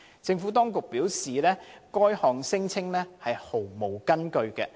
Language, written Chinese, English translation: Cantonese, 政府當局表示，該項聲稱毫無根據。, The Administration has advised that the allegation is unsubstantiated